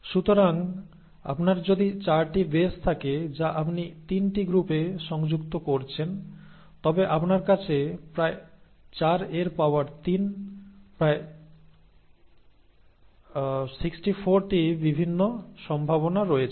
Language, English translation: Bengali, So if you have 4 bases which you are combining in groups of 3, then you have about 4 to power 3, about 64 different possibilities